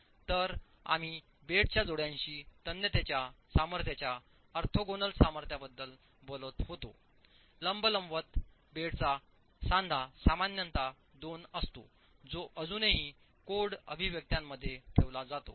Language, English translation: Marathi, So we were talking of the orthogonal strength ratio of the tensile strength parallel to the bed joint to the tensile strength perpendicular of the bed joint typically being two that is still maintained in the code expressions as well